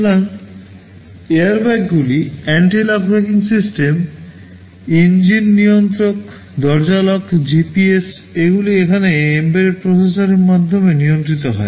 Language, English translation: Bengali, So, airbags, anti lock braking systems, engine control, door lock, GPS, everything here these are controlled by embedded processors